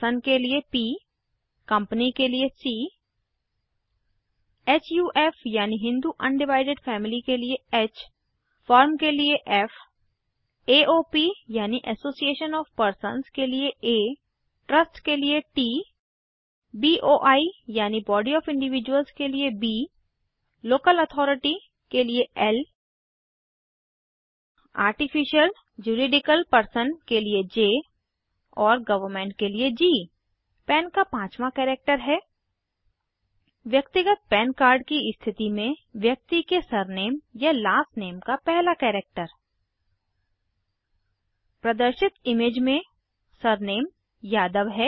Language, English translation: Hindi, Each assess is uniquely P for Person C for Company H for HUF i.e Hindu Undivided Family Ffor Firm A for AOP i.e Association of Persons T for Trust B for BOI i.e Body of Individuals L for Local Authority J for Artificial Juridical Person and G for Government The fifth character of the PAN is the first character of the surname or last name of the person, in the case of a Personal PAN card In the image shown, the surname is Yadav